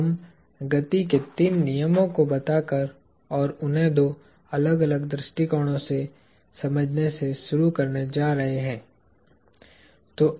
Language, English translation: Hindi, We are going to begin with the… by stating the three laws of motion and understanding them from a couple of different perspectives